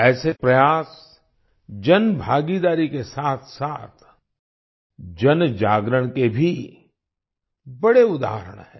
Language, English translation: Hindi, Such efforts are great examples of public participation as well as public awareness